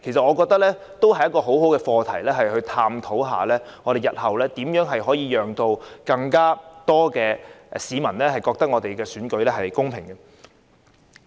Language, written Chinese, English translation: Cantonese, 我覺得這亦是一個很好的課題，探討日後如何讓更多市民覺得選舉公平。, To me this topic is worth discussing in order to improve public perception of election fairness